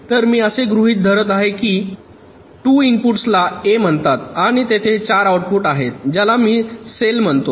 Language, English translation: Marathi, so i am assuming that that two inputs is called a and there are four outputs